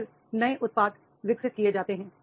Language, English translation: Hindi, Then new products are developed